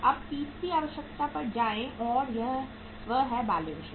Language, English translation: Hindi, Now next go to the third requirement and that is the balance sheet